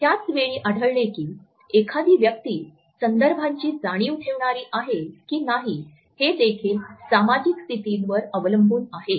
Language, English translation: Marathi, At the same time we find that whether a person is mindful of the context or not also depends on the social positions